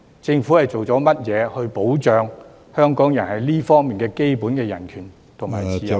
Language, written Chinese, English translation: Cantonese, 政府究竟做了甚麼來保障香港人在這方面的基本人權和自由呢......, What exactly has the Government done to protect the basic human rights and freedoms of Hong Kong people in this regard